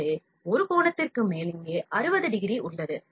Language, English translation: Tamil, So, over an angle is 60 degree here